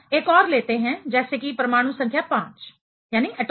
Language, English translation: Hindi, Let us say another one having you know atomic number 5